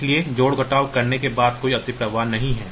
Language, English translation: Hindi, So, after doing the addition there is no overflow